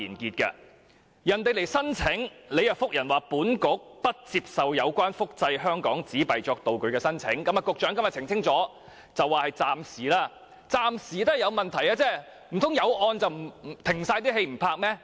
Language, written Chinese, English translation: Cantonese, 當有人提出申請，當局便回覆不接受有關複製香港紙幣作道具的申請，局長今天澄清，這是暫時的，但暫時也是有問題的，難道因為有案件便暫停所有拍攝嗎？, The authorities did not accept applications for replicating Hong Kong currency notes to be used as film props and the Secretary has clarified today that it was only a temporary decision . Although the decision was temporary it is still a problem . Should all film shooting be stopped just because an investigation into a case is in progress?